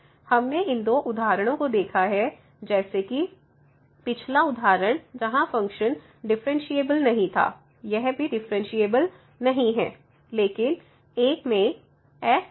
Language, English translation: Hindi, So, we have seen these two examples the other one was this one, the previous example where the function was not differentiable, this is also not differentiable